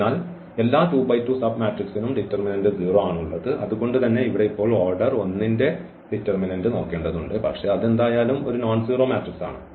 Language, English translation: Malayalam, So, all 2 by 2 submatrices have 0 determinant and that is the reason here we now have to look for this determinant of order 1, but that is a nonzero matrix anyway